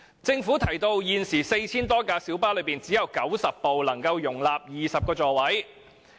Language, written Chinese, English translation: Cantonese, 政府提到，在現時的 4,000 多輛小巴中，只有90輛能夠容納20個座位。, As pointed out by the Government at present among 4 000 - plus light buses only 90 were able to accommodate 20 seats